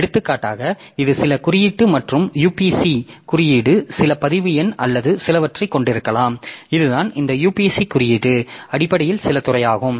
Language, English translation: Tamil, For example, this this some code plus the UPC code may be some record number or something some some, so this is this UPC code is basically some field that is unique for the record